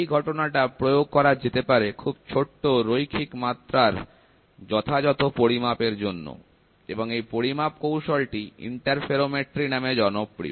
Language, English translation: Bengali, This phenomenon is applied to carry out precise measurement of very small linear dimensions and the measurement techniques are popularly known as interferometry